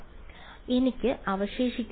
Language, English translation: Malayalam, So, what I am left with